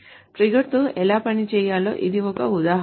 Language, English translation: Telugu, So this is an example of how to work with the trigger